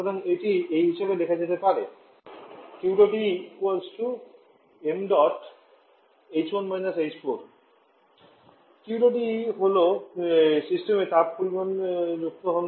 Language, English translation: Bengali, So this can be written as Q dot E is the amount of heat is added to the system